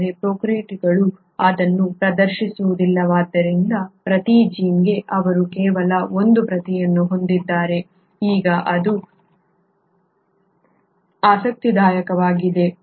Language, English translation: Kannada, But since the prokaryotes do not exhibit that, for every gene they have only one copy, now that is interesting